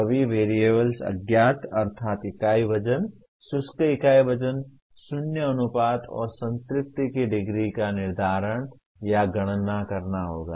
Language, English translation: Hindi, All the four unknowns namely unit weight, dry unit weight, void ratio and degree of saturation will have to be determined or calculated